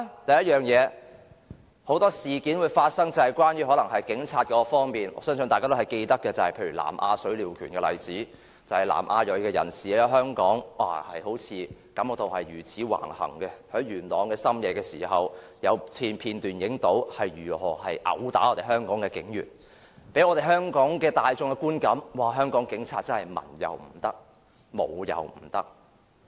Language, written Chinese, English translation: Cantonese, 第一，很多事件的發生，可能也與警察有關，相信大家也記得，例如南亞水鳥拳事件，就可看到南亞裔人士在香港是如此橫行，是在深夜時分，有片段拍攝到他們於元朗毆打香港警員，而給予香港大眾的觀感，也是認為香港警察文也不行、武也不行。, First of all the way how police officers handle a case may probably be the cause of disputes . As all of us may recall the incident of South Asian martial art has revealed how badly certain South Asian people behaved in Hong Kong . In that incident a video footage taken late at night showed that a police officer had been beaten up by South Asian people in Yuen Long and it gave the general public the impression that our police officers could do nothing when they were confronted by such villains